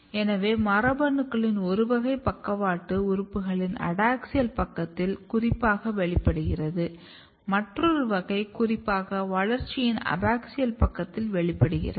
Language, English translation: Tamil, So, one category of the genes which are specifically expressed at the adaxial side of the lateral organs, another category is expressed specifically on the abaxial side of the development